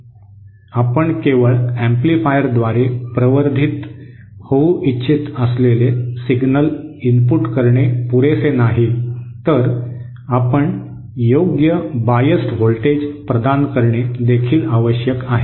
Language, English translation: Marathi, It is not just enough that you input a signal that you want to be amplified through an amplifier it is also necessary that you provide the proper biased voltage